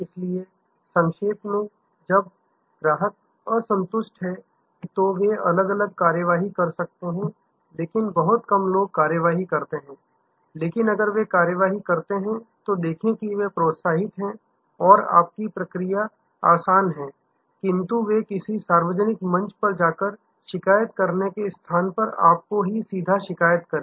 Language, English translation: Hindi, So, to summarize, when customers are dissatisfied, they can take different actions, but very few people take actions, but if they do take actions, see that they are encouraged and your process is easy, but they can complain to you rather than go to a public forum and complain